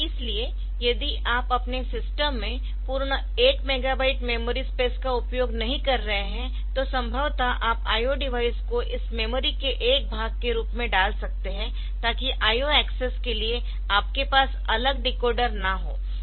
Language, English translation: Hindi, So, if you are not using full one megabyte of memory space, then in your system then possibly you can also put that I O device pious part of this memory, and so that you do not have to have separate decoder for the I O access